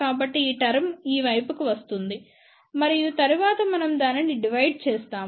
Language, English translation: Telugu, So, this term will come to this side and then we divided